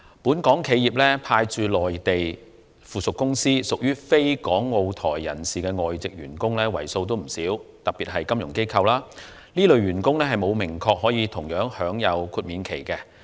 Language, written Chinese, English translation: Cantonese, 本港企業派駐內地的附屬公司，特別是金融機構，有不少非港澳台人士的外籍員工，而現時並有明確表示，這些員工也可享有同樣的豁免期。, The subsidiaries of Hong Kong enterprises in the Mainland especially the financial institutions have employed many foreign employees who are not from Hong Kong Macao and Taiwan and presently it is not explicitly stated whether these employees can enjoy the same period of exemption